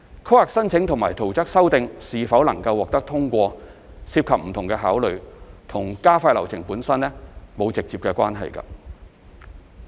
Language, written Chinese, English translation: Cantonese, 規劃申請或圖則修訂是否獲通過涉及不同考慮，與加快流程本身並無直接關係。, In determining whether a planning application and an amendment of plan will be approved or not different considerations come into play which do not bear any direct relationship with speeding up the process